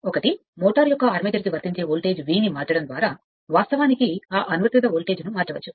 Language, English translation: Telugu, One is by varying the voltage applied to the armature of the motor that is your V; you can vary that applied voltage